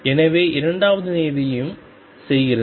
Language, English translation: Tamil, So, does the second term